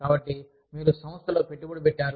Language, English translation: Telugu, So, you are invested in the organization